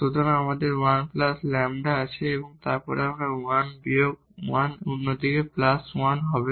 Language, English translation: Bengali, So, we have 1 plus lambda and then this 1 this minus 1 the other side will go plus 1